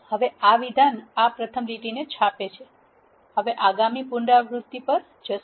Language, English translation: Gujarati, Now this statement prints this first line, now it will go to the next iteration